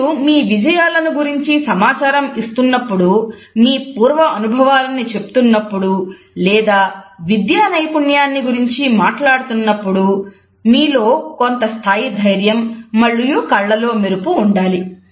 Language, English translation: Telugu, It is important that when you are giving information about your achievements, about your past experience or your academic excellence then it has to be given with a certain level of confidence and sparkle in the eyes